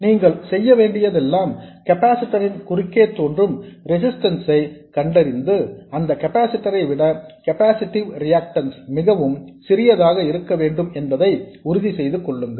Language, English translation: Tamil, So this is a first order system and all you have to do is to find out the resistance that appears across the capacitor and make sure that the capacitive reactance is much smaller than that resistance